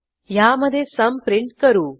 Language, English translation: Marathi, In this we print the sum